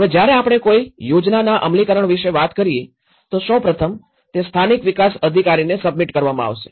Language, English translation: Gujarati, Now, when we talk about any plan implementation, first of all, it will be submitted to the local development authority